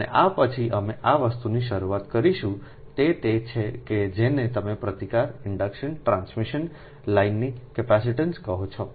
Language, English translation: Gujarati, and so first thing is that will start from the this thing, that resistance and inductance of transmission lines